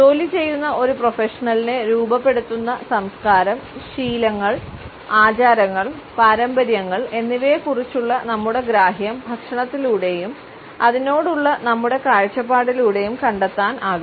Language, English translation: Malayalam, Since our understanding of culture, habits, rituals and traditions which mould a working professional can be explode through food and the way it is perceived by us